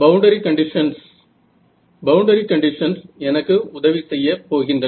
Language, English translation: Tamil, Boundary conditions, boundary conditions are what are going to help me